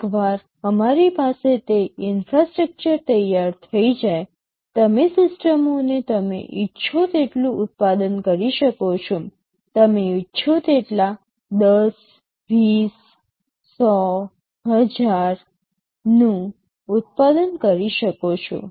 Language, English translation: Gujarati, Once we have that infrastructure ready, you can manufacture the systems as many you want; you can manufacture 10, 20, 100, 1000 as many you want